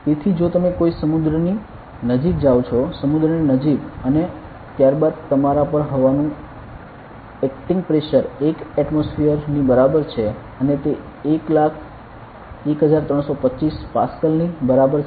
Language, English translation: Gujarati, So, if you are going near a sea; near a sea and then the pressure of air acting on you is equal to 1 atmosphere and is equal to 101325 Pascal ok